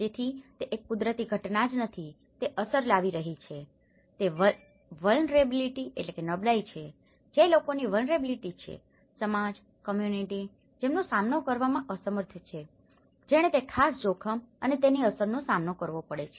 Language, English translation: Gujarati, So, it is not just a natural phenomenon which is making an impact it is the vulnerability, which is the people’s vulnerability, the society, the community, who are unable to face, that who cope up with that particular hazard and its impact